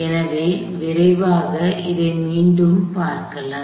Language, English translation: Tamil, So, let us go back and quickly recap here